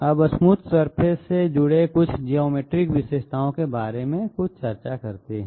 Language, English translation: Hindi, Now some discussion about some geometric features connected with smooth surfaces